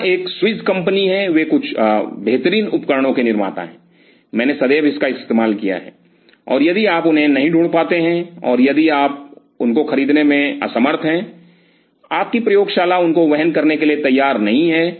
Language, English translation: Hindi, This is Swiss company they are the maker of some of the finest tools I have ever used till this date, and if you do not find them and if you cannot afford those ones your lab is not ready to afford those ones